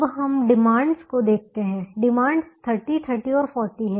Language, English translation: Hindi, the demands are shown thirty, thirty and forty